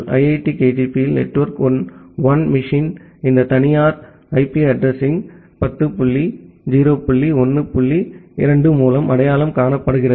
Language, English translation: Tamil, In the IIT KGP, network one machine is identified by this private IP address 10 dot 0 dot 1 dot 2